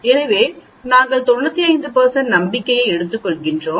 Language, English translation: Tamil, So we take 95 % confidence